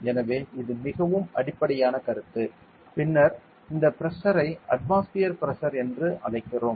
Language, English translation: Tamil, So, this is a very basic concept and then we call this pressure as atmospheric pressure